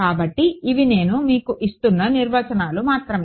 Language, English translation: Telugu, So, these are just definitions I am giving you